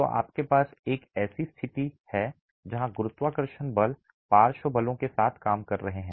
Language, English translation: Hindi, So, you have a situation where gravity forces are acting along with lateral forces